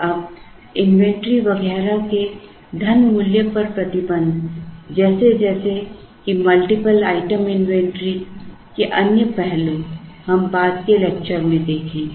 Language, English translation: Hindi, Now, other aspects of multiple item inventories such as restriction on the money value of inventory etcetera, we will see in subsequent lectures